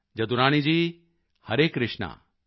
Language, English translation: Punjabi, Jadurani Ji, Hare Krishna